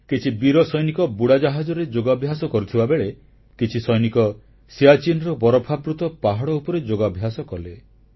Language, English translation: Odia, A section of our brave soldiers did yoga in submarines; some of them chose the snow clad mountainous terrain of Siachen for the same